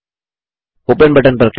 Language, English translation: Hindi, Click on the Open button